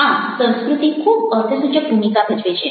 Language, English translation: Gujarati, so culture plays a very significant role